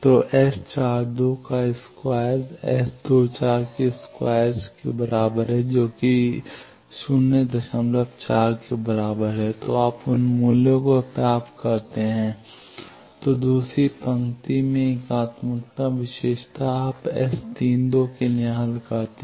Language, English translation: Hindi, So, you get those values then unitary property in second row you can solve for S 32